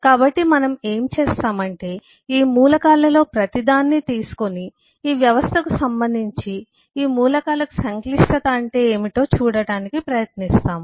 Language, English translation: Telugu, so what we will do is we will take each of these elements and try to see what does a complexity mean in regard to this system, this elements